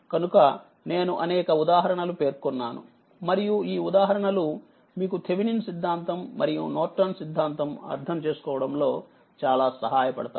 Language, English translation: Telugu, So, that is why several examples I have taken and this examples will help you a lot to understand this your, what you call this Thevenin’s and Norton theorem